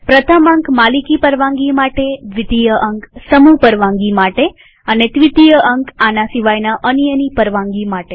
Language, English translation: Gujarati, The first digit stands for owner permission, the second stands for group permission, and the third stands for others permission